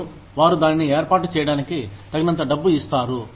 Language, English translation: Telugu, And, they are given enough money, to set it up